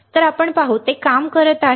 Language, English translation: Marathi, So, let us see; it is working